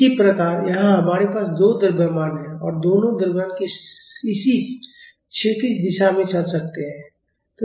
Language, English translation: Hindi, Similarly, here we have two masses and both the masses can move in this horizontal direction